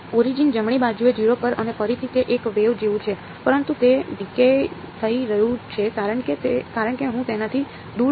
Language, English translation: Gujarati, At 0 at the origin right; and again it is like a wave, but it is decaying as I go away from it ok